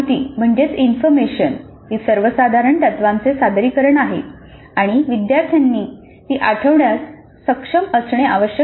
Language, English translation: Marathi, Information is presentation of the general principles and learners must be able to recall it